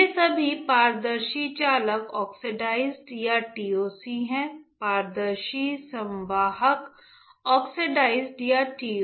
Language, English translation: Hindi, These are all transparent conducting oxides or TCOs; transparent conducting oxides or TCOs